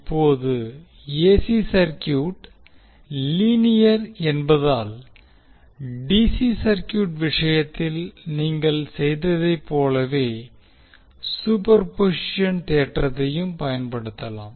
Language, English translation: Tamil, So, now as AC circuit is also linear you can utilize the superposition theorem in the same way as you did in case of DC circuits